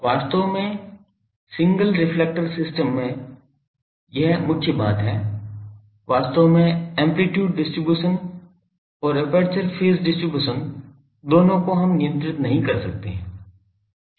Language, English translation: Hindi, Actually this is the main thing in a single reflector system actually both the amplitude distribution and the aperture phase distribution we cannot control